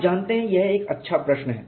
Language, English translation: Hindi, You know it is a good question